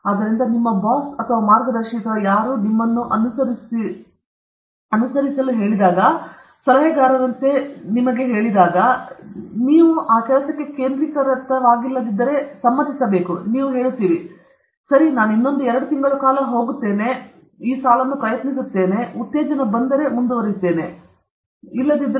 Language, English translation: Kannada, Therefore, your boss or guide or whatever, if you are pursuing something, as advisers we should give okay, even though it may not be central to your work, we will say, ok, another one or two months we will go, it doesn’t matter; you try this line; suddenly, if something exciting comes, then we can, we can pursue further in that line; is that ok